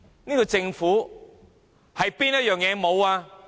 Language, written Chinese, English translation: Cantonese, 這個政府欠缺甚麼？, What does this Government lack?